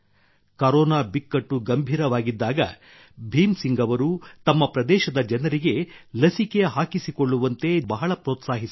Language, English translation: Kannada, When the terrible Corona crisis was looming large, Bhim Singh ji encouraged the people in his area to get vaccinated